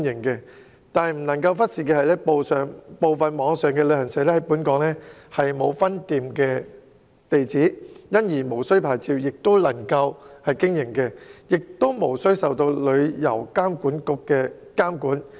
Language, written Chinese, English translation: Cantonese, 然而，不可忽視的是，部分網上旅行社在港沒有分店地址，因而無須領牌亦能夠經營，也無須受旅遊業監管局監管。, However it cannot be ignored that some online travel agents do not have branch addresses in Hong Kong so they can operate without a license and are not subject to the regulation of the Travel Industry Authority TIA